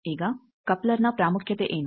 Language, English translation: Kannada, Now what is importance of coupler